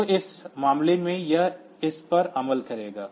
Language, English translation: Hindi, So, in this case it will execute this 1 only